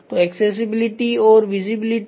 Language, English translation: Hindi, So, product accessibility and visibility